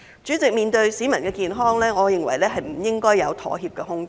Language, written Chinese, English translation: Cantonese, 主席，面對市民的健康，我認為不應該有妥協的空間。, President I think there is no room for compromise when it comes to the health of the public